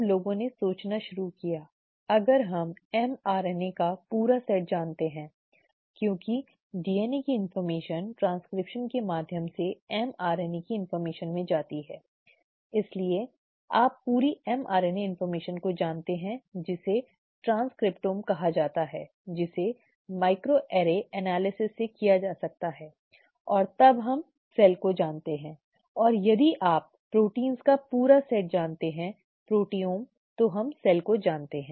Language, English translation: Hindi, Then people started thinking, if we know the complete set of m RNA, because DNA information goes to mRNA information through transcription, so you know the complete mRNA information which is called the transcriptome which can be done through micro array analysis and so on, then we know the cell, and if you know the complete set of proteins, the proteome, we know the cell